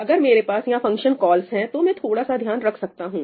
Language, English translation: Hindi, If I have function calls over here, I would not care